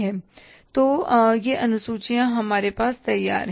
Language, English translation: Hindi, So these two schedules are ready with us